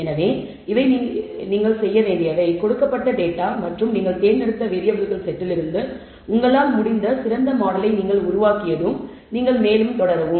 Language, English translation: Tamil, So, these are the things that you would do and once you have built the best model that you can from the given data and the set of variables you have chosen then you proceed further